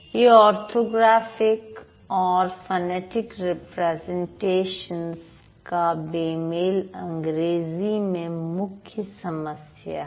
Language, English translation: Hindi, So, this mismatch, the orthographic and phonetic representation mismatch is a big problem in English, right